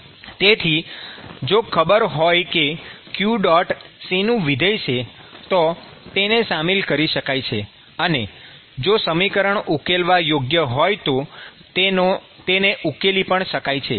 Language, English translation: Gujarati, So, if you know what is the function of q dot, you could put that, and you could solve the equation, if it is solvable